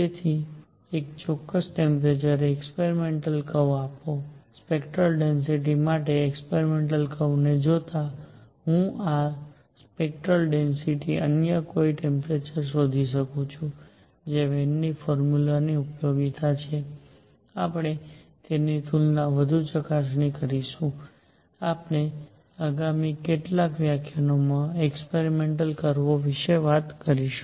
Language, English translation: Gujarati, So, given experimental curve at one particular temperature, the experimental curve for spectral density, I can find these spectral density at any other temperature that is the utility of Wien’s formula, we will analyze it further vis a vis, we experimental curves in the next few lectures